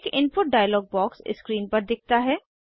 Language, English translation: Hindi, An input dialog box appears on screen